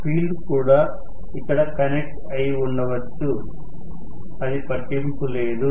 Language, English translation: Telugu, May be the field is also connected here, it does not matter